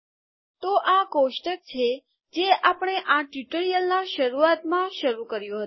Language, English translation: Gujarati, So this was the table that we started with at the beginning of this tutorial